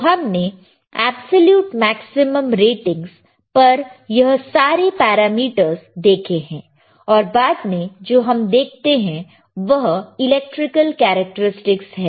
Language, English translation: Hindi, So, we see this parameters as absolute maximum ratings, then what we see then we see Electrical Characteristics ok